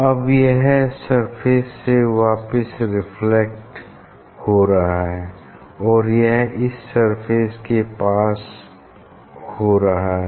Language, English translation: Hindi, Now, it is a this one is reflected back from this surface and it is a passing through another surface